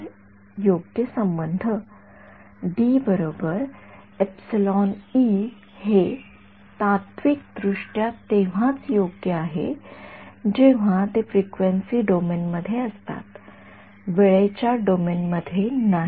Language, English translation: Marathi, So, the correct the relation D is equal to epsilon E is theoretically correct only when these are in the frequency domain not in the time domain right